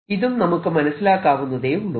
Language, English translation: Malayalam, this is also very easy to understand